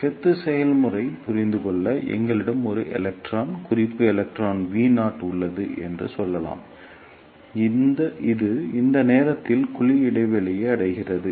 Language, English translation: Tamil, Now, to understand the bunching process let us say we have an electron reference electron V naught, which reaches the cavity gap at this point of time